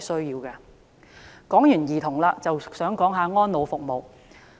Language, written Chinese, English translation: Cantonese, 談過兒童的問題，就想談談安老服務。, After children I now turn to elder services